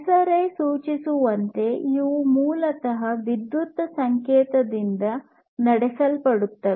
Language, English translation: Kannada, So, as this name suggests, these are basically powered by electric signal